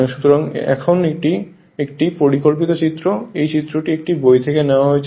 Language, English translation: Bengali, So, now, this is a schematic diagram this figure I am taken from a book right